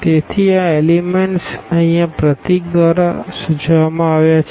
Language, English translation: Gujarati, So, these elements denoted by this symbol here